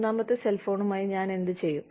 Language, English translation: Malayalam, What will i do, with the third cell phone